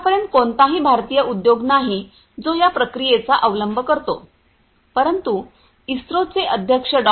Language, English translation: Marathi, There is no Indian industry so far you know that use this process, but there there is a recent announcement by the chairman of the ISRO Dr